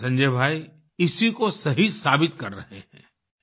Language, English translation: Hindi, Our Sanjay Bhai is proving this saying to be right